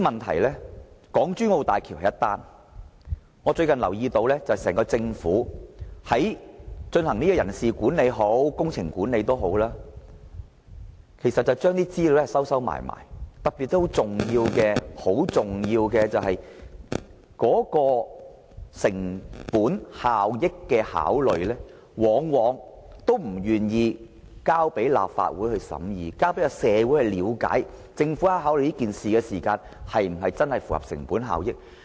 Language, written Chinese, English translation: Cantonese, 除了港珠澳大橋外，我最近留意到整個政府無論在人事或工程管理方面，都不願把有關資料公開，特別是一些涉及成本效益考慮的重要資料，政府往往不願意提交讓立法會審議和社會人士了解，看看政府有否考慮有關項目的成本效益。, Besides HZMB I notice that the whole Government has recently grown unwilling to disclose information regarding personnel and project management . In particular the Government is invariably unwilling to provide some important information concerning cost - effectiveness for consideration by the Legislative Council and for knowledge of society so that they would be able to see whether the Government has given due consideration to the cost - effectiveness of the projects concerned